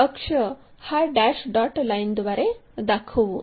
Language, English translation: Marathi, So, axis dash dot line